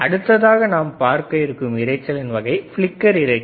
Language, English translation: Tamil, So, what are some characteristics of flicker noise